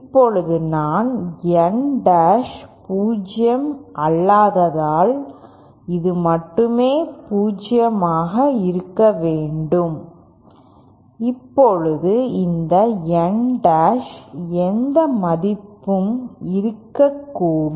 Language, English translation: Tamil, Now since I n dash is non 0 so then only this thing should be 0 in other now look this N dash can be any value